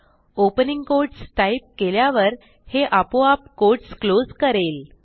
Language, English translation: Marathi, Type opening quotes and it automatically closes the quotes